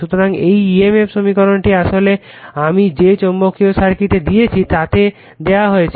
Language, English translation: Bengali, So, this emf equation is given actually in that magnetic circuit I have given